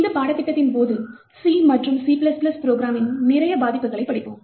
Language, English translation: Tamil, During this course we will be studying a lot of vulnerabilities in C and C++ programs